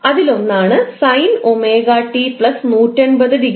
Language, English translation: Malayalam, 1 is sine omega t plus 180 degree